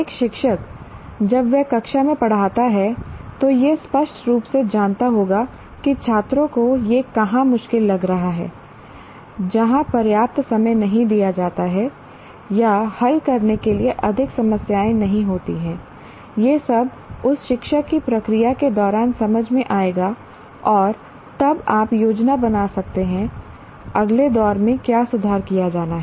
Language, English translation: Hindi, A teacher when he teaches in the classroom will know clearly where the students are finding it difficult, where the adequate time is not given or more problems to be solved, all that will be the teacher will understand during the process of doing and then he can plan for the next round what exactly to be improved in there